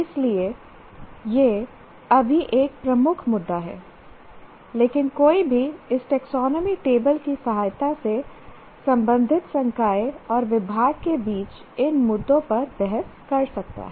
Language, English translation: Hindi, But one can really debate these issues among concerned faculty and the department with the help of this taxonomy table